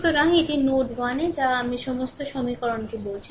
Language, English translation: Bengali, So, this is at node 1 whatever whatever I told you all the equations